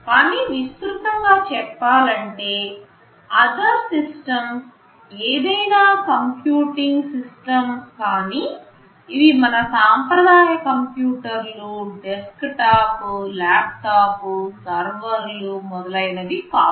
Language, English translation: Telugu, But broadly speaking you can say that these other systems are any computing system, which are not our conventional computers like desktop, laptop, servers etc